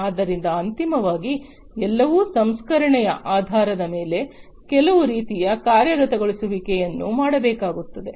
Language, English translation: Kannada, So, all of these finally, you know, based on the processing some kind of actuation would have to be made